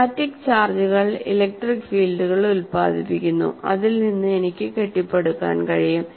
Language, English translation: Malayalam, And the static charges produce electric fields and then like this I can keep on building